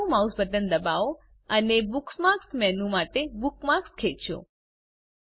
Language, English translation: Gujarati, * Press the left mouse button, and drag the bookmark to the Bookmarks menu